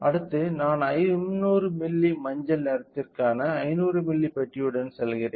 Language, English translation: Tamil, Next, I will go with 500 milli so, one box corresponding to the 500 milli for yellow